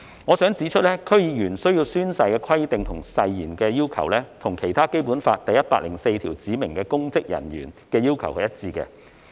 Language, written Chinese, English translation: Cantonese, 我想指出，區議員需要宣誓的規定及誓言的要求，與《基本法》第一百零四條對指明公職人員的要求是一致的。, I wish to point out that both the requirements in respect of oath - taking by DC members and an oath are consistent with the requirements set out in Article 104 of the Basic Law for specified public officers